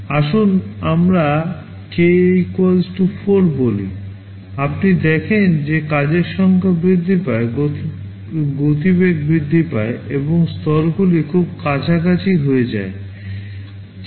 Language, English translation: Bengali, Let us say k = 4; you see as the number of tasks increases, the speedup increases increase and levels to very close to 4